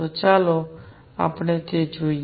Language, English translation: Gujarati, So, let us let us see that